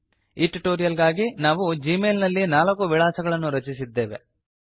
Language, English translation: Kannada, For the purposes of this tutorial we have created four contacts in Gmail